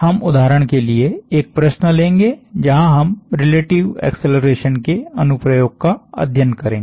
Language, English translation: Hindi, We will take up an example problem, where we will study an application of relative acceleration